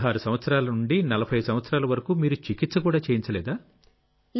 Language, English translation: Telugu, So from the age of 16 to 40, you did not get treatment for this